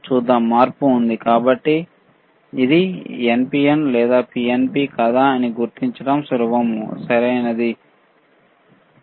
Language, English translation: Telugu, Let us see, there is a change; So, easy to identify whether it is NPN or PNP, all right